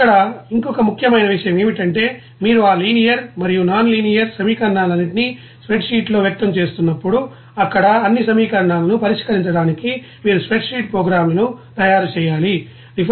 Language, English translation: Telugu, Then another important points here that whenever you are expressing all those linear and nonlinear equations in a spreadsheet then you have to make a spreadsheet programs to solve all those you know equations there